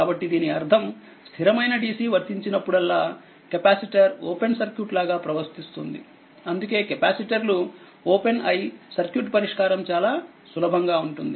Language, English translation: Telugu, So, this that means, how to that means whenever steady dc is applied right, capacitor will behave like open circuit that is why capacitors are open and circuits solution is very easy right